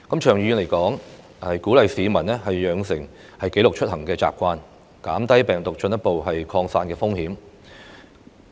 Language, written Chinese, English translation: Cantonese, 長遠而言，政府應鼓勵市民養成記錄出行的習慣，減低病毒進一步擴散的風險。, In the long run the Government should encourage the public to keep a precise record of their whereabouts so as to lower the chance of spreading the virus further